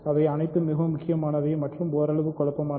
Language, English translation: Tamil, So, all this is very important and somewhat confusing perhaps